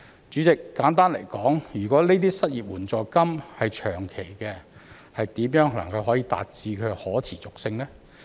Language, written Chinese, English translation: Cantonese, 主席，簡單來說，如果失業援助金是長期的，怎能達致可持續性？, President to put it simply how can we achieve sustainability if the unemployment assistance is a long - term measure?